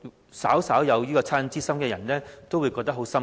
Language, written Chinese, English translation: Cantonese, 我相信，稍有惻隱之心的人都會感到很"心噏"。, I believe anyone with a sense of compassion will be saddened